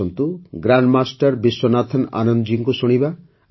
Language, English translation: Odia, Come, listen to Grandmaster Vishwanathan Anand ji